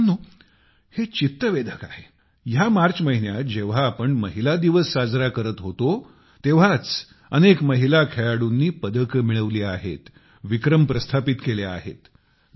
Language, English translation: Marathi, Friends, it is interesting… in the month of March itself, when we were celebrating women's day, many women players secured records and medals in their name